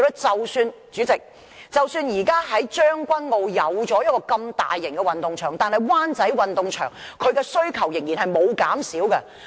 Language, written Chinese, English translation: Cantonese, 主席，即使現時將軍澳已有大型運動場，但是，灣仔運動場的需求仍然沒有減少。, President even though there is already a large - scale sports ground in Tseung Kwan O at present the demand for using the Wan Chai Sports Ground has still not been reduced